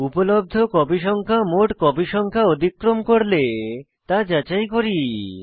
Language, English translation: Bengali, Then we check if available copies exceed the totalcopies